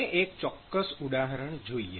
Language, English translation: Gujarati, So, let us look at a specific example